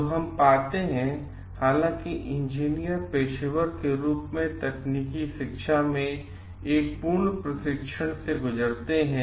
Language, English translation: Hindi, So, what we find like though engineers undergo a full fledged education as a technical education training as a professional